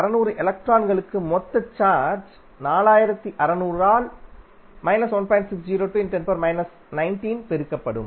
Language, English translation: Tamil, So, for 4600 electrons the total charge would be simply multiply 4600 by 1